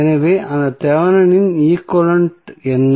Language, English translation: Tamil, So, what was that Thevenin equivalent